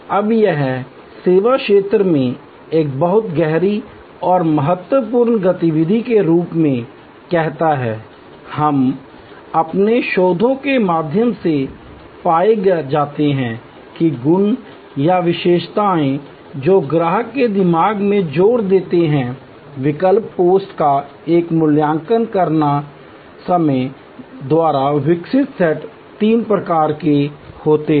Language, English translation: Hindi, Now, this says in the service domain a very, a deep and critical activity, we are found through our researches that the attributes or rather features or the qualities or the properties that the customer emphasis in his or her mind, while evaluating the alternatives post by the evoked set are of three types